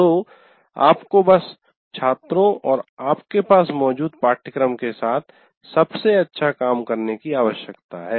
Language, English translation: Hindi, So you have to do the best job with the students and with the curriculum that you have